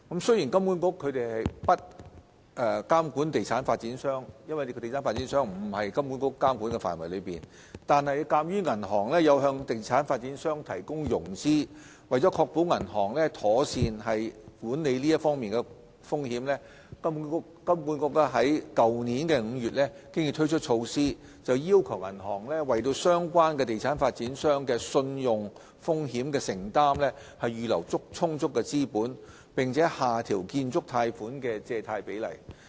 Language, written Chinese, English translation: Cantonese, 由於地產發展商並不屬於金管局的監管範圍，金管局未能監管地產發展商，但鑒於銀行會向地產發展商提供融資，為了確保銀行妥善管理有關風險，金管局已在去年5月推出措施，要求銀行為相關地產發展商的信用風險承擔預留充足資本，並且下調建築貸款的借貸比例。, As property developers are not within HKMAs scope of regulation HKMA cannot regulate them . Nevertheless as banks do lend to property developers in order to ensure that banks are managing the relevant risks properly HKMA introduced supervisory measures in May last year under which banks have to set aside an adequate amount of capital for credit risk exposure to the property developers concerned as well as to lower the financing ratios applicable to construction loans